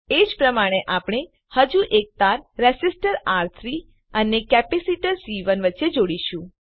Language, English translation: Gujarati, Similarly we will connect one more wire between Resistor R3 and capacitor C1